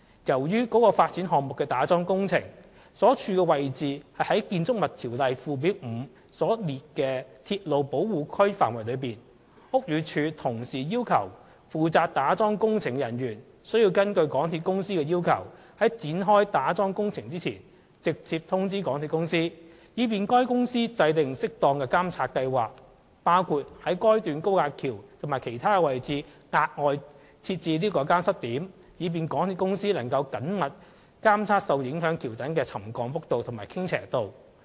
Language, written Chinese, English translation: Cantonese, 由於該發展項目的打樁工程位處《建築物條例》附表5所列的鐵路保護區範圍內，故此，屋宇署同時要求負責打樁工程的人員須根據港鐵公司的要求，在展開打樁工程前，直接通知港鐵公司，以便該公司制訂適當的監察計劃，包括於該段高架橋及其他位置額外設置監測點，以便港鐵公司能緊密監測受影響橋躉的沉降幅度和傾斜度。, As the piling works of that development project were to be carried out within a railway protection area listed under Schedule 5 to the Buildings Ordinance BD also required the personnel responsible for the piling works to comply with MTRCLs request for instant notification before the commencement of the piling works . This is to facilitate the formulation of an appropriate monitoring plan which includes setting up additional monitoring checkpoints at that section of the viaduct and other locations to enable MTRCL to closely monitor the extent of subsidence and the degree of inclination